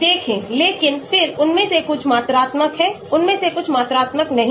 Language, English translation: Hindi, See but then some of them are quantifiable, some of them are not quantifiable